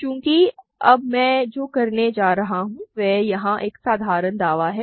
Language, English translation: Hindi, And now, since; what I am now going to do is a simple claim here